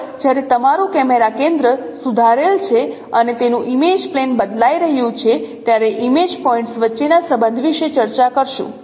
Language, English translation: Gujarati, Next we will discuss about the relationship between the image points when your camera center is fixed and its image plane is changing